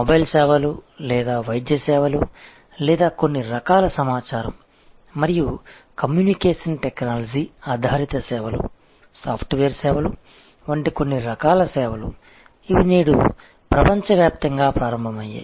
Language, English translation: Telugu, And certain types of services like for example, say mobile services or medical services or certain types of information and communication technology oriented services, software services, these are today born global